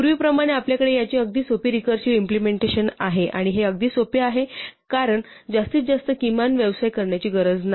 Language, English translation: Marathi, As before we have very simple recursive implementation of this, and this is even simpler because we do not have to do this max min business